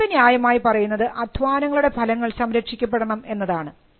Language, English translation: Malayalam, The third rationale for having copyrights is that the fruits of labour need to be protected